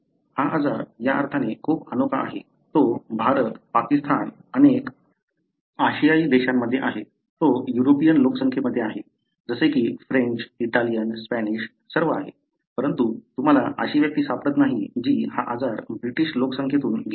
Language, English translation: Marathi, This disease is very unique in the sense, you have it in India, Pakistan, many Asian countries, you have it in the European population, like the French, Italian, the Spanish, all you have, but you do not find an individual who is having the disease who has descended from the Britishpopulation